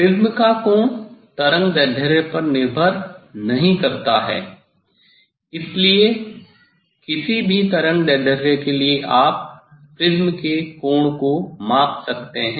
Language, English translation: Hindi, Angle of the prism does not depend on the wavelength ok, so for any wavelength you can measure the angle of prism and, but minimum deviation it depends on the wavelength